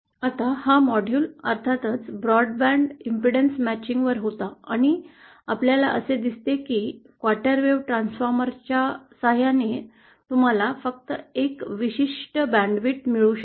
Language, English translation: Marathi, Now this module was of course on broadband impedance matching, and we see that with a quarter wave transformer you can get only a certain band width